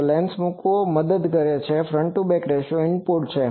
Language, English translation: Gujarati, So, putting the lens helps that front to back ratio is input